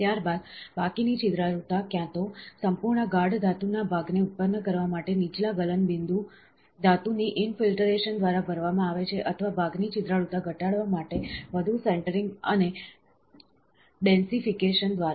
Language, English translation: Gujarati, Subsequently, the remaining porosity is either filled by infiltration of a lower melting point metal to produce a fully dense metallic part, or by further centring and densification, to reduce the part porosity, this is very very important